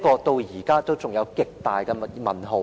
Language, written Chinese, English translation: Cantonese, 至今仍有極大的"問號"。, So far it remains a big question